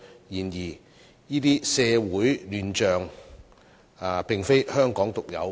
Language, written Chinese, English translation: Cantonese, 然而，這些社會亂象並非香港獨有。, Nevertheless such shambles is not unique to Hong Kong